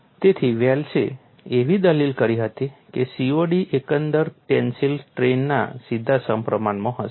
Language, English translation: Gujarati, So, Wells argued that COD will be directly proportional to overall tensile strain